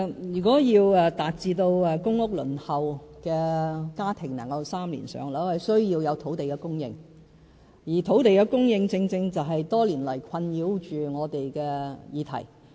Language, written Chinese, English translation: Cantonese, 如果要達致輪候公屋的家庭能於3年"上樓"，需要有土地供應，而土地供應正正是多年來困擾着我們的議題。, If we are to make it possible for households waiting for PRH units to receive housing allocation within three years we must need land and land supply is precisely a problem that been vexing us over all the years